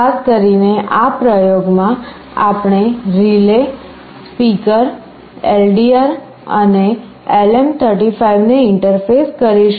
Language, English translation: Gujarati, Specifically in this experiment we will be interfacing a relay, a speaker, a LDR and LM35